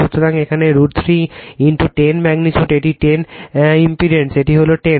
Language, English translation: Bengali, So, root 3 into 10 magnitude here, it is 10 impendence is 10